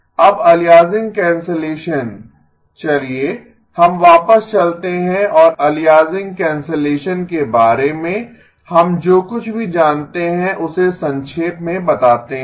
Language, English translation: Hindi, Now aliasing cancellation let us go back and summarize whatever we know about aliasing cancellation